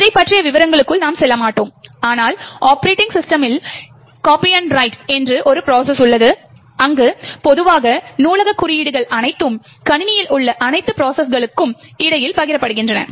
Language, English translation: Tamil, We will not go into the details about this but in operating systems there is a process called copy on write, where typically library codes are all shared between all processes in the system